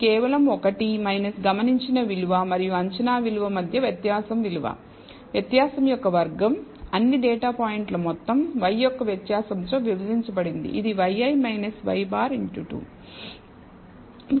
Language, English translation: Telugu, It is just 1 minus di erence between the observed value and the predicted value squared di erence summed over all data points, divided by the variance of y, which is y i minus y bar the whole square